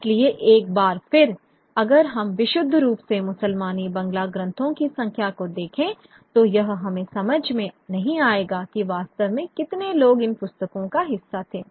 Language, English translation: Hindi, So, once again, if we purely look at the number of Muslimi Bangalah texts that were printed, will not give us a sense of how many people were actually partaking of these books